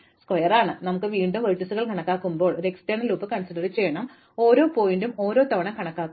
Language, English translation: Malayalam, And then, when we enumerate the vertices again we have an outer loop which will enumerate every vertex once